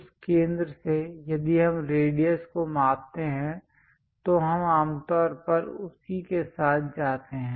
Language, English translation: Hindi, From that center if we are measuring the radius we usually go with that